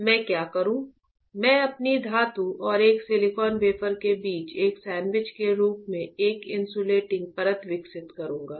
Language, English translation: Hindi, So, what I will do, I will grow an insulating layer as a sandwich between my metal and a silicon wafer